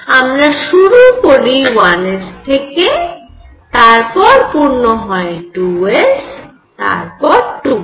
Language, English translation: Bengali, So, you start with 1 s, then you fill 2 s, then you fill 2 p